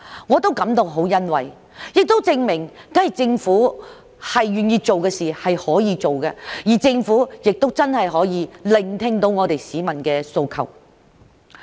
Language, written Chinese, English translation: Cantonese, 我感到很欣慰，亦證明政府願意做的事，是可以做到的，而政府亦真的聆聽到市民的訴求。, I am very pleased with its passage . It proves that the Government is capable of doing what it is willing to do and that it truly heeds peoples aspirations